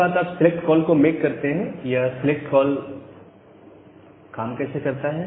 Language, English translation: Hindi, Ok then you make the select call so, how select works